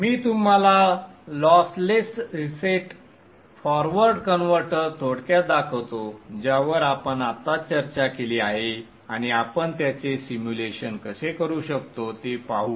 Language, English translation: Marathi, I shall briefly show to you the lossless reset forward converter that we just discussed and see how we can do the simulation of that one